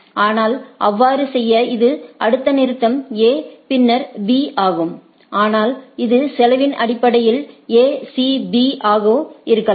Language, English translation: Tamil, But, to so, it next stop is A then B, but it could have been A C B also based on the costing